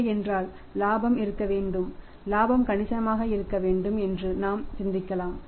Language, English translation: Tamil, So, we can think about that profit should be there and profit should be substantial